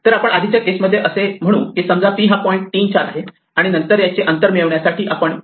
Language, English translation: Marathi, So, we would say something like in our earlier case p is equal to point say 3 comma 4 and then we will say p dot o distance to get its distance